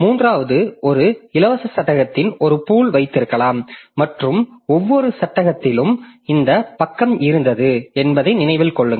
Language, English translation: Tamil, The third one says the possibly keep a pool of free frame and remember which page was in each frame